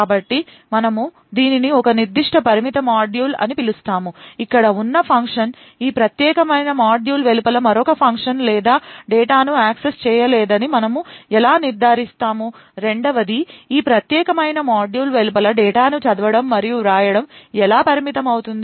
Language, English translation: Telugu, So, we call this a particular confined module how would we ensure that a function over here cannot access of another function or data outside this particular module, second how would be restrict reading and writing of data outside this particular module